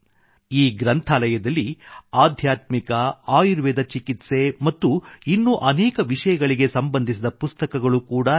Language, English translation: Kannada, In this library, books related to spirituality, ayurvedic treatment and many other subjects also are included